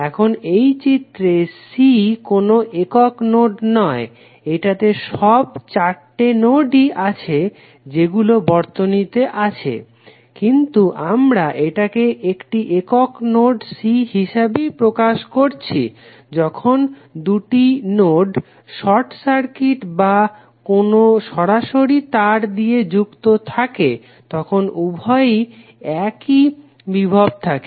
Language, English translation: Bengali, Now in this figure c is not a single load it contains all four nodes which are there in the circuit, but we represented by a single node c while connect two nodes whit a short circuit or may be the direct wire both will always be at a same potential